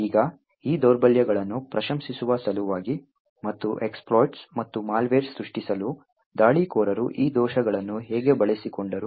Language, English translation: Kannada, Now in order to appreciate these vulnerabilities and how attackers have been able to utilise these vulnerabilities to create exploits and malware